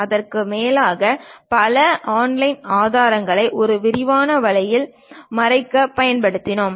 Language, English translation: Tamil, And over that we use many online resources cover it in a extensive way